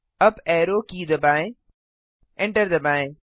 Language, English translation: Hindi, Press the up arrow key, press enter